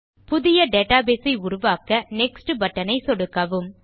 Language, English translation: Tamil, Click on the Next button to create a new database